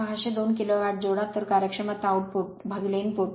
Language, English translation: Marathi, 602 kilo watt therefore efficiency output by input